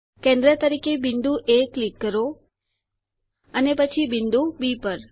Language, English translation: Gujarati, Click on the point A as centre and then on point B